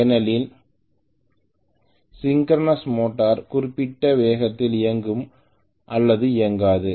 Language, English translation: Tamil, Because synchronous motor will run at particular speed or does not run at all